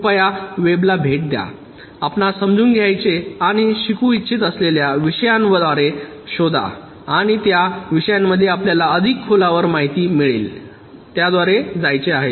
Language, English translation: Marathi, please visit the web, search through the topics you want to understand and learn and you will get much more deep insight into the topics wants to go through them